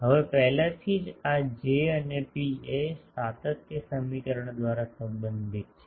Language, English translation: Gujarati, Now already these J and rho are related by continuity equation